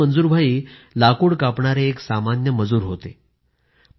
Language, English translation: Marathi, Earlier, Manzoor bhai was a simple workman involved in woodcutting